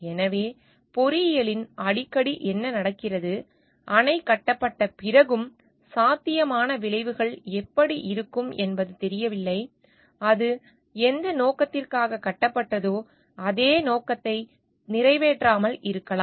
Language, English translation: Tamil, So, what happens often in engineering, it is not known what the possible outcomes are like even after a dam is built; it may not serve the purpose for which it was built